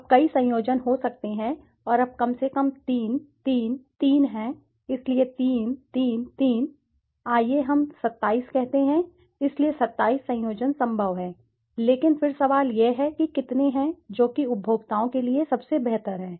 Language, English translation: Hindi, Now there could be several combinations and now at least there are 3, 3, 3, so 3, 3, 3 is let us say 27, so 27 combination possible but then the question is how many, which one is most preferable for the consumers